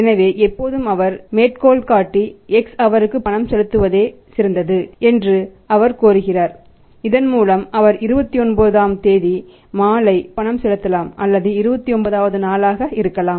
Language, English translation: Tamil, So, always quotes he demands discipline demands that he should make the payment is better for him for the X make the payment to by that he can make the payment on the evening of 29th or may be 29 day